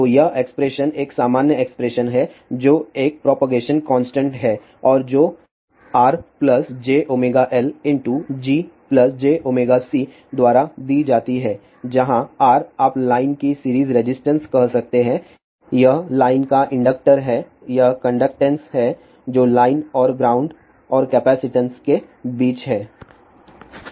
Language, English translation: Hindi, So, this expression is a general expression which is a propagation constant and that is given by R plus j omega L multiplied by G plus j omega C, where R is the you can say the series resistance of the line, this is the inductor of the line, that is the conductance which is between the line and the ground and the capacitance